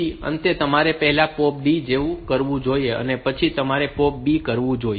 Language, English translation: Gujarati, Then at the end you should do like POP D first, and then you should do POP B